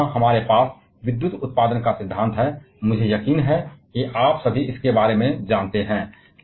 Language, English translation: Hindi, So now here we have the principle of electrical power generation; which I am sure all of you are aware about